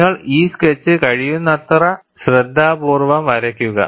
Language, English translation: Malayalam, You have carefully drawn this sketch as much as possible